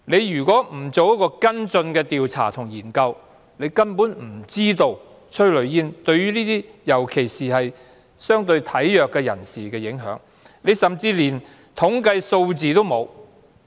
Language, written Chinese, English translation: Cantonese, 如果局方不進行跟進調查和研究，根本無法知道催淚煙的影響，尤其是對相對體弱人士的影響，而局長甚至連統計數字也沒有。, If the Bureau does not conduct follow - up investigation and studies it can in no way know the impact of tear gas particularly the impact on infirm persons not to mention that the Secretary does not even have the relevant statistics